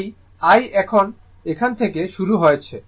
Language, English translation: Bengali, So, here it is starting